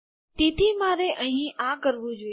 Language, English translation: Gujarati, So I should have done this here